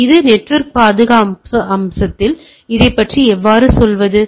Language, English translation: Tamil, So, how to go about it this network security aspects